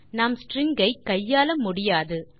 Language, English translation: Tamil, We cannot manipulate a string